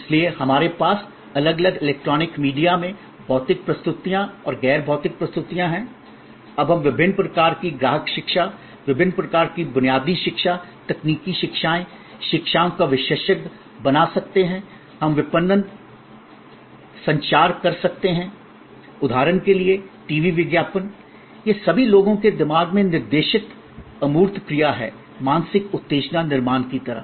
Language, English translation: Hindi, So, we have across different electronic media, across physical presents and non physical presents, we can now create different kind of customer education, different kind of basic education, technical educations, specialize education, we can do marketing communication, these are all or a TV ad for example, these are all intangible action directed at minds of people, sort of mental stimulus creation